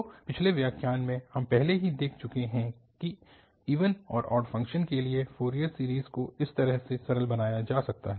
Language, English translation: Hindi, So in the last lecture, we have already seen that the Fourier series for even and odd functions can be simplified